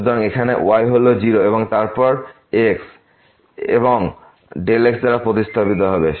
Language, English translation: Bengali, So, here is 0 and then, x will be replaced by delta